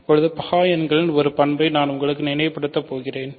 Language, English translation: Tamil, So now, I am going to recall for you a property of prime numbers